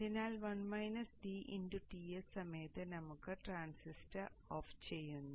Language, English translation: Malayalam, So during the DTS period this transistor is on